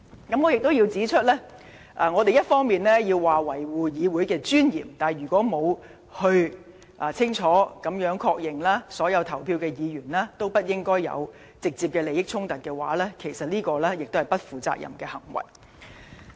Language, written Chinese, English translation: Cantonese, 此外，我也要指出，我們一方面說要維護議會的尊嚴，但如果另一方面卻沒有清楚確認，所有投票的議員皆沒有直接的利益衝突，實屬不負責任的行為。, Also I must point out that while we vow to uphold the dignity of this Council we will be acting irresponsibly if we fail to ascertain whether Members who have voted do not have any direct conflict of interest